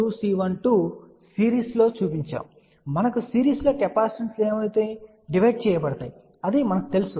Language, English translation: Telugu, So, in series we know that capacitances get divided